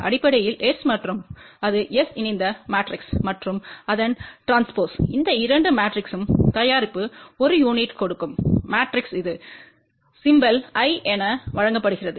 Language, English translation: Tamil, Basically S and that is S conjugate matrix and transpose of that that product of these two matrices will give a unique matrix over here which is given symbol as I